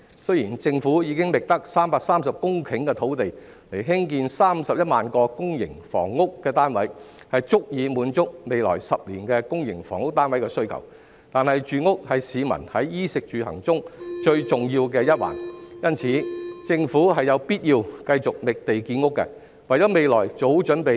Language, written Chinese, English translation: Cantonese, 雖然政府已經覓得330公頃的土地來興建31萬個公營房屋單位，足以滿足未來10年的公營房屋單位需求，但住屋是市民在衣食住行中最重要的一環，因此政府有必要繼續覓地建屋，為未來做好準備。, Although the Government has identified 330 hectares of land to construct 310 000 public housing units which will be sufficient to meet the demand for public housing units in the next decade housing is the most important aspect among peoples basic needs for clothing food housing and transport . Therefore the Government must continue to identify land for housing construction so as to prepare for the future